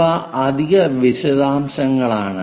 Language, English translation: Malayalam, These are additional details